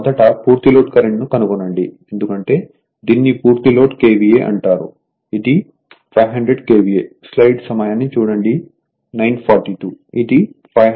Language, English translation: Telugu, First you find out the full load current because, this is your what you call full load KVA 500 KVA KVA